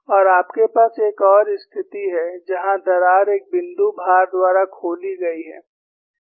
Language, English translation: Hindi, And you have another situation, where the crack is opened by a point load here